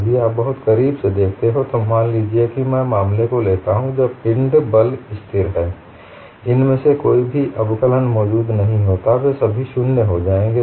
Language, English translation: Hindi, If you look at very closely, suppose I take the case when body force is constant, none of these differential can exists they will all go to 0